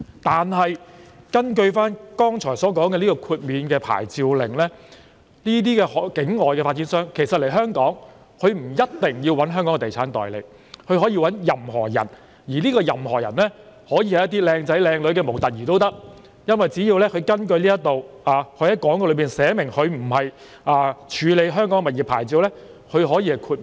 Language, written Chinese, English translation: Cantonese, 然而，根據剛才所說的豁免領牌令，境外發展商來港銷售物業不一定要聘用香港的地產代理，他們可以聘用任何人，這些人可以是外貌出眾的模特兒，因為只要在廣告中註明沒有處理香港物業的牌照便可以獲得豁免。, However under the exemption from licensing order that we talked about just now overseas developers are not necessarily required to hire local estate agents when putting up properties for sale in Hong Kong . They can hire anybody who can be good - looking models because they can be granted exemption so long as they clearly indicated in the advertisement that they are not licensed to deal with the sale of local properties in Hong Kong